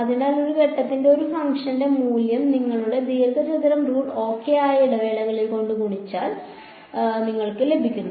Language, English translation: Malayalam, So, you have got the value of a function at one point multiplied by the interval that is your rectangle rule ok